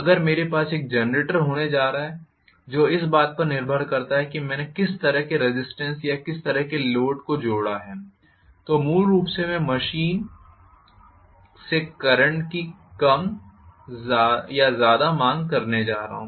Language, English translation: Hindi, If I am going to have a generator depending upon what kind of resistance or what kind of load I have connected I am going to have more or less demand of current basically from the machine